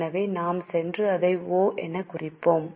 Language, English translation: Tamil, So, we will mark it as O